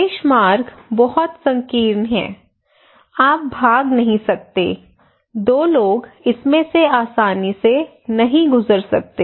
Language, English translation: Hindi, Access roads are very narrow; you cannot evacuate, two people cannot pass easily from this one